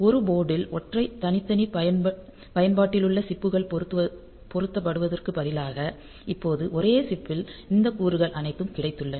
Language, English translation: Tamil, So, instead of having single a separate chips mounted on a board now in a single chip you have got all these components